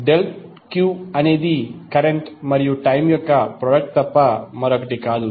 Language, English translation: Telugu, delta q is nothing but product of current and time